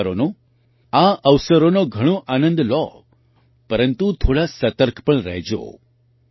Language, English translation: Gujarati, Enjoy these festivals a lot, but be a little cautious too